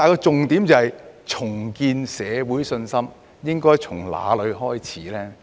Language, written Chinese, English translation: Cantonese, 重建社會信心應從哪裏開始呢？, How should we start rebuilding public confidence?